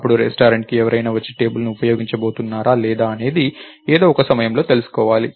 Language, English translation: Telugu, Then, the restaurant would have to know at some point, whether somebody is going to turn up and use the table or not right